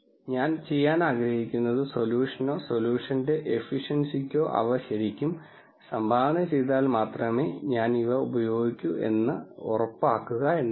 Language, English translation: Malayalam, What 1 would like to do is make sure that I use these only if they really contribute to the solution or to the efficacy of the solution